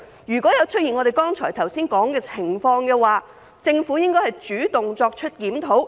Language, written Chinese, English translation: Cantonese, 如果出現我們剛才所說的情況，政府應主動作出檢討。, If the situation we mentioned just now arises the Government should take the initiative to conduct a review